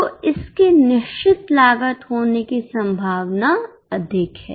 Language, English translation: Hindi, So, this is more likely to be a fixed cost